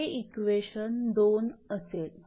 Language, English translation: Marathi, So, it will be 1